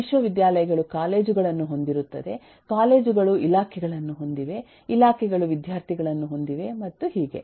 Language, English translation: Kannada, universities will have colleges, colleges have departments, departments have students and so on